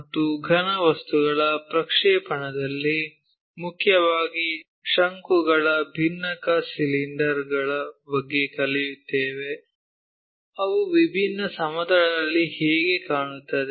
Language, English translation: Kannada, And, in our projection of solids we will learn about mainly the cones frustums cylinders, how they really look like on different planes